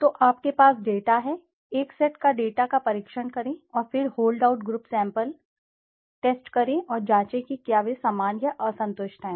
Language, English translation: Hindi, So, you have the data, test the data on one set and then check on the hold out group sample test and check whether they are similar or dissimilar